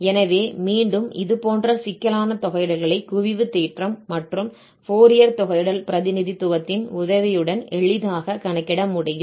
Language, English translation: Tamil, So, again such complicated integrals can easily be computed with the help of this convergence theorem and this Fourier integral representation